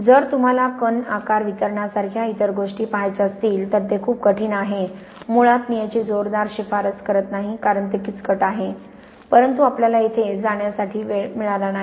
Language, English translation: Marathi, If you want to look at other things like particle size distribution then it is a lot more difficult, basically, I do not strongly recommend it because it is rather complicated but we have not got time to go into it here